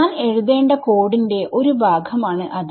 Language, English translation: Malayalam, So, that is a part of code which I have to write